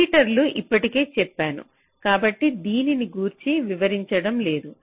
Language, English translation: Telugu, repeaters already i have said so, i am not elaborating on this anymore